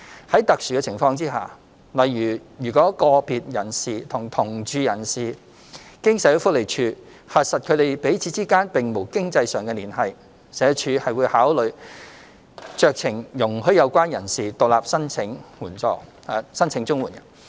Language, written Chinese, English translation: Cantonese, 在特殊情況下，例如若個別人士與同住人士經社會福利署核實他們彼此之間並無經濟上的連繫，社署會考慮酌情容許有關人士獨立申請綜援。, Under special circumstances such as an individual having no economic ties with other persons in the same household as verified by the Social Welfare Department SWD the department will consider allowing himher to apply for CSSA independently on a discretionary basis